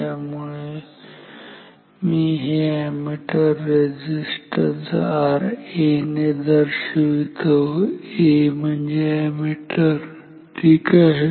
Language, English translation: Marathi, So, let me write this ammeter resistance as R A, A for ammeter ok